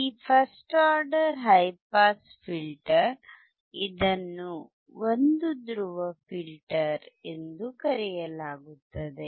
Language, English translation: Kannada, This is first order high pass filter or it is also called one pole filter